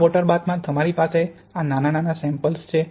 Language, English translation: Gujarati, Then you have, in this water bath, you have these small samples